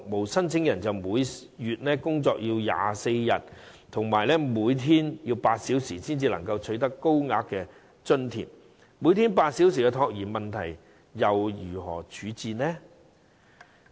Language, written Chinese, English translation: Cantonese, 當申請人要每月工作24天、每天8小時，才可獲得高額津貼，那他們如何處理每天8小時的託兒問題呢？, When the applicant has to work eight hours in 24 days every month to receive a higher allowance how can they make child care arrangements every day during their eight hours of work?